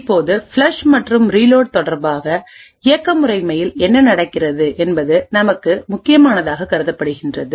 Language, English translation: Tamil, Now, important for us with respect to the flush and reload is what happens in the operating system